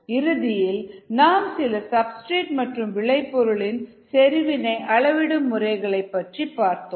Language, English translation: Tamil, finally, some methods for substrate and product concentrations we also saw